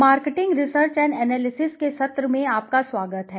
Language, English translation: Hindi, Welcome everyone to the session of marketing research and analysis